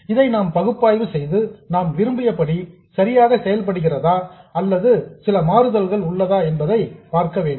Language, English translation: Tamil, We need to analyze this and see whether it behaves exactly the way we wanted or are there some deviations